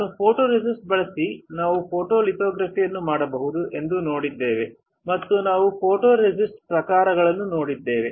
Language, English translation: Kannada, We have seen that, we can perform the photolithography using photoresist and then we have seen the type of photoresist